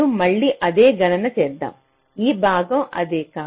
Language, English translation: Telugu, lets do the same calculation again